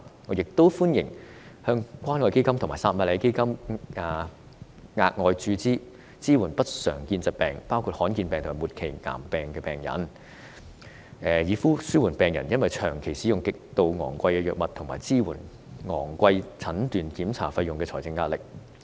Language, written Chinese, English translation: Cantonese, 我亦歡迎向關愛基金和撒瑪利亞基金額外注資，支援不常見疾病，包括罕見疾病和末期癌證病人，紓緩病人因長期使用極度昂貴的藥物及支付昂貴診斷檢查費用的財政壓力。, I also welcome the provision of additional funding to the Community Care Fund and the Samaritan Fund to support patients with uncommon disorders including patients with rare diseases and terminal cancer so as to relieve the financial pressure on patients from the extended use of extremely expensive drugs and meeting the high diagnostic and examination expenses